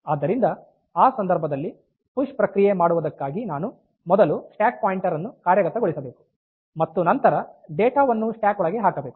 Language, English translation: Kannada, So, in that case for doing a push operation I should first implement the stack pointer and then put the data on to the stack